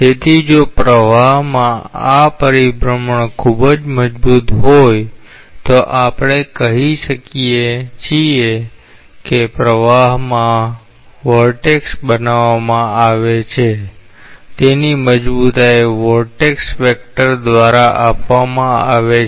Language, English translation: Gujarati, So, if this rotationality in the flow is very strong we say a vortex is created in the flow and the strength of that is given by the vorticity vector